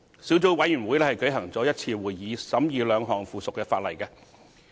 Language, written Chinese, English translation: Cantonese, 小組委員會舉行了1次會議，審議兩項附屬法例。, The Subcommittee has held one meeting to scrutinize two items of subsidiary legislation